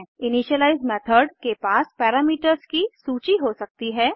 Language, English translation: Hindi, An initialize method may take a list of parameters